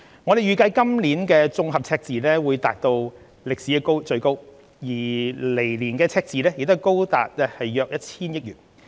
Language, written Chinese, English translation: Cantonese, 我們預計今年的綜合赤字會達至歷來最高，而來年的赤字亦高達約 1,000 億元。, We forecast that the consolidated deficit this year will be the highest on record and the deficit in the coming year will remain high at around 100 billion